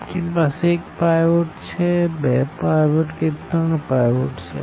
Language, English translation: Gujarati, We have one pivot, we have two pivots, we have three pivots